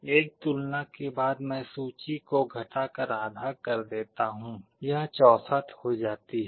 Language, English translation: Hindi, After one comparison I reduce the list to half, it becomes 64